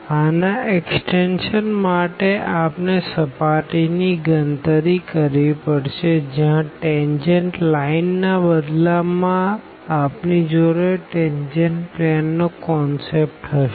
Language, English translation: Gujarati, The extension of this we will have for the computation of the surface where instead of the tangent line we will have the concept of the tangent plane